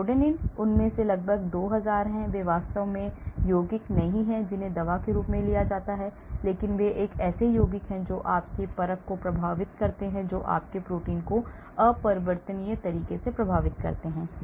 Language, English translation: Hindi, So, rhodanine there are almost 2000 of them, so they are not really compounds that may be taken up as a drug but these are compounds which affect your assay which affect your protein in an irreversible manner